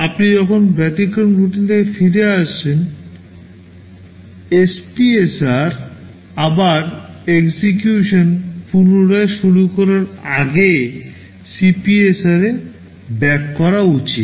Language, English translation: Bengali, When you come back from the exception routine the SPSR has to be copied backed into CPSR before you resume execution